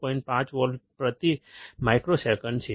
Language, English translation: Gujarati, 5 volts per microsecond